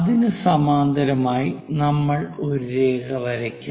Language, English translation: Malayalam, Parallel to that, we will draw a line